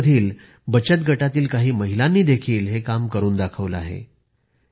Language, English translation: Marathi, A self help group of women in Jharkhand have accomplished this feat